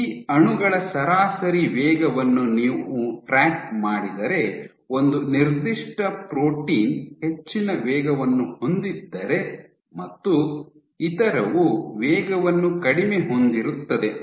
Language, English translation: Kannada, If you track the average speed of these molecules what you find is this guy has the high speed and then you have reducing speed